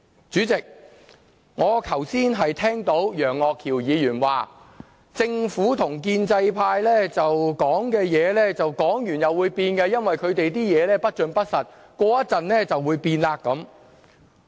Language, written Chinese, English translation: Cantonese, 主席，我剛才聽到楊岳橋議員說，政府與建制派說的話，說完會變，因為他們的說話不盡不實，過一會便會變。, President earlier on I heard Mr Alvin YEUNG say that the Government and the pro - establishment camp change their versions all the time because they are untruthful